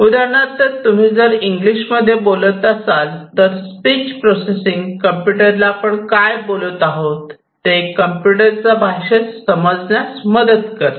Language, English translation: Marathi, So, if you are speaking in English the speech processing would help the computers to understand what the humans are talking about in their own language right